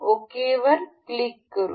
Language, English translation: Marathi, We click on ok